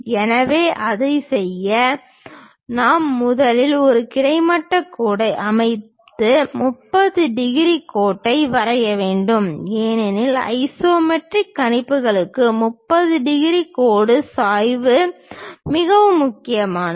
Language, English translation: Tamil, So, to do that what we have to do is first construct a horizontal line and draw a 30 degrees line because for isometric projections 30 degrees line is inclination line is very important